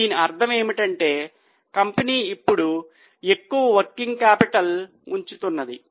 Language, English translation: Telugu, So, what does it mean that company is now keeping more and more working capital